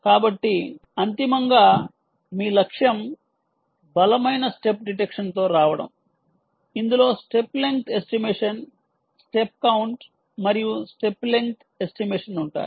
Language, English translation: Telugu, um so your ultimately your goal is to come up with robust step detection which will include step ah, length estimation, ah step count and step length estimation